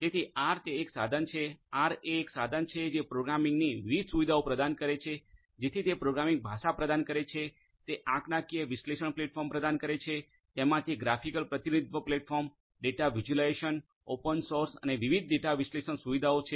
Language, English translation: Gujarati, So, R it is a tool; R is a tool which offers different features; different features of programming you know so it offers a programming language, it offers statistical analysis platform, it has graphical representation platform, data visualization, open source its R is open source and has different data analytics features